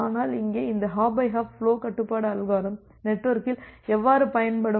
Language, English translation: Tamil, But here you will see by applying this hop by hop flow control algorithm in the network